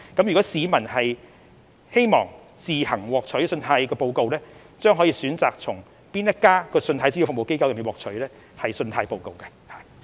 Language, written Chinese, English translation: Cantonese, 如果市民希望自行索取信貸報告，將可選擇向哪一家信貸資料服務機構索取信貸報告。, If members of the public want to obtain credit reports on their own initiatives they are free to choose their preferred CRAs